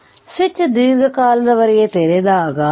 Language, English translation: Kannada, So, when the switch was open for a long time